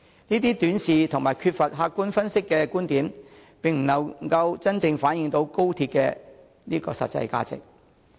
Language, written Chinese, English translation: Cantonese, 這種短視和缺乏客觀分析的觀點，並不能真正反映高鐵的實際價值。, Such kind of view being short - sighted and not based on objective analysis cannot truly reflect the real value of XRL